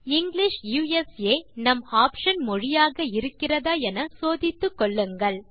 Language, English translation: Tamil, Check that English USA is our language choice